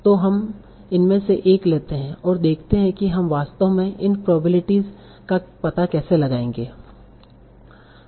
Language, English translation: Hindi, So let us take one of these and see how we will actually find out these probabilities